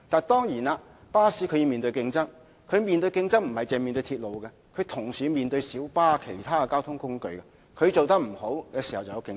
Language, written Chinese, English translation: Cantonese, 當然，巴士要面對競爭，不止來自鐵路的競爭，同時還要面對來自小巴等其他交通工具的競爭。, Certainly buses have to face competition not only from railways but also from other modes of transport such as minibuses